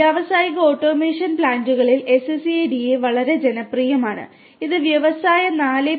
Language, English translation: Malayalam, SCADA is very popular in industrial automation plants and this is very attractive in the industry 4